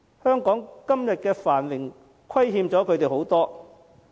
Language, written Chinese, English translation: Cantonese, 香港得享今天的繁榮，虧欠了他們很多。, Hong Kong owes much of its present prosperity to them